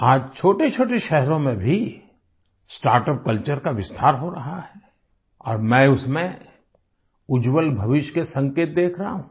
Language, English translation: Hindi, Today, the startup culture is expanding even to smaller cities and I am seeing it as an indication of a bright future